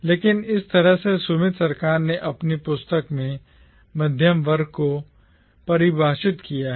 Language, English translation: Hindi, But this is how Sumit Sarkar defines middle class in his book